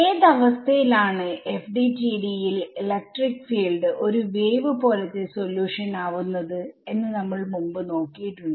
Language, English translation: Malayalam, Now uh under what conditions, so we have looked at this before under what conditions will the electric field be a wave like solution in FDTD